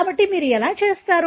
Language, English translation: Telugu, So, how do you do